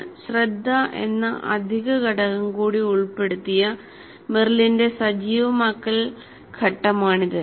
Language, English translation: Malayalam, This is activation phase of Merrill with an additional component which is attention